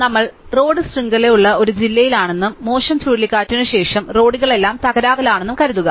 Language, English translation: Malayalam, Suppose, we are in a district which has a road network and after a bad cyclone, the roads have all being damaged